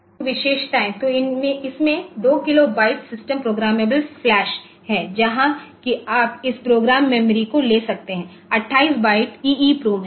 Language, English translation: Hindi, So, features; so, it has got 2 kilo byte of in system programmable flash that where you can have this program memory then there is 28 byte of EEPROM